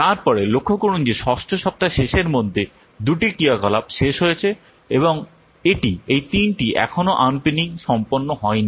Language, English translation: Bengali, So now we have observed that by the end of week six, two activities have been completed and the three activities are still unfinished